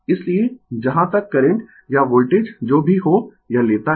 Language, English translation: Hindi, So, whereas current or voltage whatever it is take